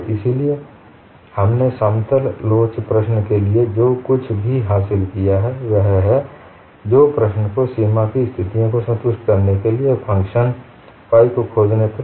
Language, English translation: Hindi, So, what we have achieved is, for plane elastic problem, the solution reduces to finding a function phi satisfying the boundary conditions